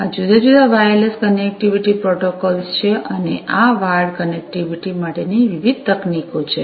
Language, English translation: Gujarati, These are the different wireless connectivity protocols and these are the different, you know, technologies for wired connectivity